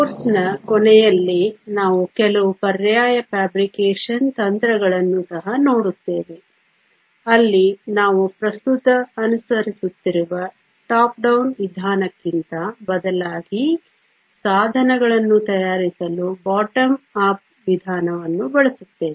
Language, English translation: Kannada, Towards the end of the course we will also look at some alternate fabrication techniques where we use a bottom up approach to fabricate devices rather than the top down approach that is currently followed